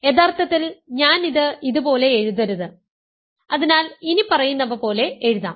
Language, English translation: Malayalam, So, actually I should not write it like this, so I will write it like the following